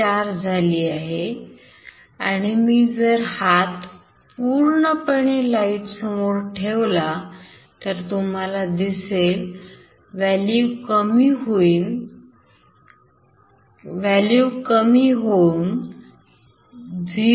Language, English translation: Marathi, 4 and finally, I have put my hand here and now you see that it has been reduced to 0